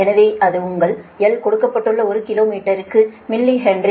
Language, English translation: Tamil, so that is your l is l is given that millihenry per kilometer